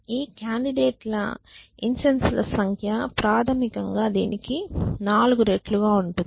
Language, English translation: Telugu, So, the number of incenses of these candidates that we expect to see is basically 4 times this